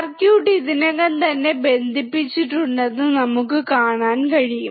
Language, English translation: Malayalam, We can see that the circuit is already connected